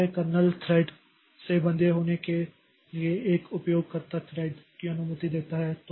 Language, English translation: Hindi, So, this set of user threads, it is bound to the kernel thread